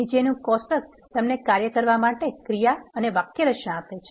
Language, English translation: Gujarati, The following table gives you the task action and the syntax for doing the task